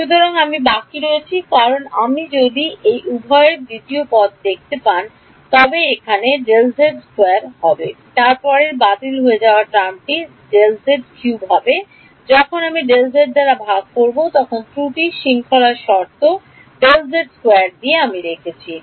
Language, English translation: Bengali, So, I am left with because if you see the second term on both of these is going to have a delta z squared which will get cancelled off the next term will be delta z cube when I divide by delta z I am left with the error term of order delta z square